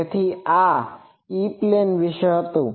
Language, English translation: Gujarati, So, this is about E plane